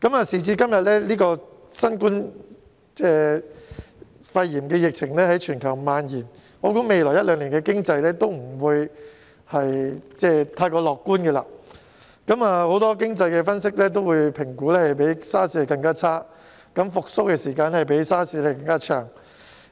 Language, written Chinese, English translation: Cantonese, 時至今日，新冠肺炎疫情在全球蔓延，我想未來一兩年的經濟也不會太過樂觀，很多經濟分析也評估會較 SARS 更差，復蘇時間亦會較 SARS 更長。, These days given the outbreak of the novel coronavirus pneumonia worldwide the economic prospects in the coming one or two years will I believe not be that promising . According to the assessments of many economic analyses the economy will be worse than that at the time of SARS and the time of recovery will likewise be longer than that at the time of SARS